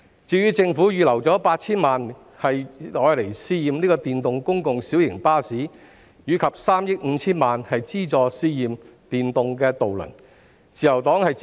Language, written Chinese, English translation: Cantonese, 至於政府預留 8,000 萬元試驗電動公共小型巴士，以及3億 5,000 萬元資助試驗電動渡輪，自由黨亦表示支持。, The Liberal Party also expresses support for the Government to earmark 80 million and 350 million to conduct trials on electric public light buses and electric ferries respectively